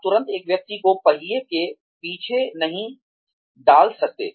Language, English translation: Hindi, You cannot immediately, put a person, behind the wheel